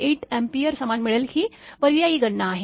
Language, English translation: Marathi, 8 Ampere same, this is the alternate calculation